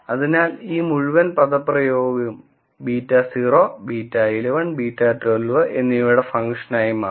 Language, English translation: Malayalam, So this whole expression would become a function of beta naught beta 1 1 and beta 1 2